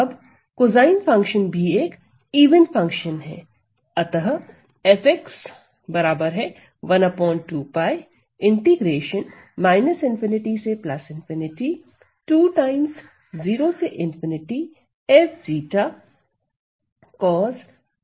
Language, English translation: Hindi, Now, also cosine the cosine function is an even function